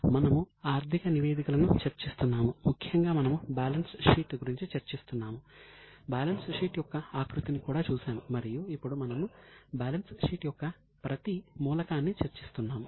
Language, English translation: Telugu, So, we were discussing financial statements, particularly we were discussing balance sheet, we have also seen the format of balance sheet and now we are discussing each element of balance sheet